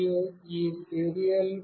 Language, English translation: Telugu, And this Serial